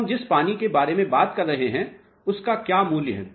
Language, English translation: Hindi, What is the value of water we have been talking about